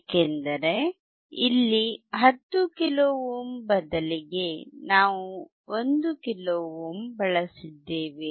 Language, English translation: Kannada, Because instead of 10 kilo ohm here we have used 1 kilo ohm